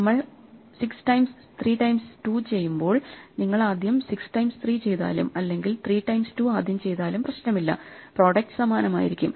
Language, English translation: Malayalam, If we do 6 times 3 times 2, it does not matter whether you do 6 times 3 first, or 3 times 2 first finally, the product is going to be the same